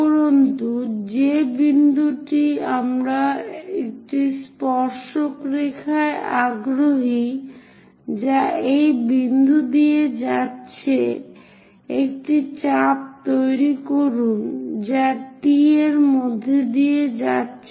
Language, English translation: Bengali, And the point what we are interested is a tangent line which is passing through this point; so make an arc which is passing through T